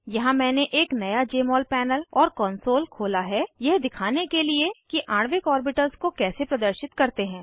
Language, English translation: Hindi, Here I have opened a new Jmol panel and console to show how to display molecular orbitals